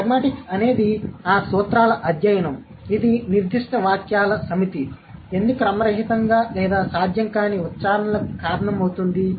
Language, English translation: Telugu, What is it, pragmatics is the study of those principles that will account for why a certain set of sentences are animalists or not possible utterances